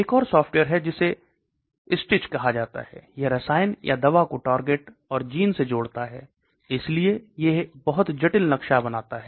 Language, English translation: Hindi, Then there is another software called STITCH, so it connects the chemicals or the drug with the target, and genes so it creates a very complicated map